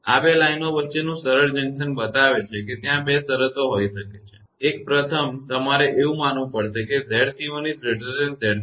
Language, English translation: Gujarati, This shows a simple junction between two lines; there may be two conditions, one is first you have to assume that Z c 1 greater than Z c 2